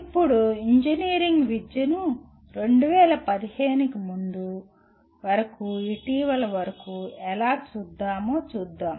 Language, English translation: Telugu, Now, let us look at how is the engineering education is looked at until recently that is prior to 2015